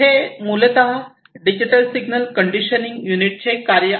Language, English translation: Marathi, So, this is basically the work of the digital signal conditioning unit